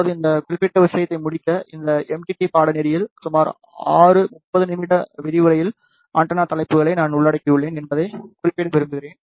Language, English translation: Tamil, Now, to conclude this particular thing, I would like to mention that in this MTT course, I have covered antenna topics in roughly six 30 minutes lecture